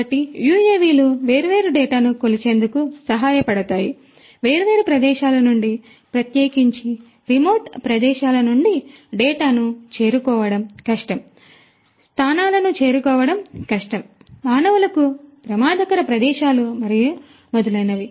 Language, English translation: Telugu, So, UAVs can help in measuring different data, from different locations particularly collecting data from remote locations you know hard to reach locations, locations which could be hazardous for human beings and so on